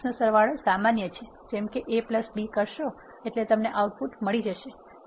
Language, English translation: Gujarati, Matrix addition is straight forward you can say A plus B you will get the output